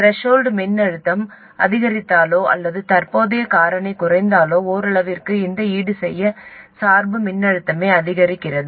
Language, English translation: Tamil, If the threshold voltage increases or the current factor drops, this bias voltage itself increases to compensate for it to some extent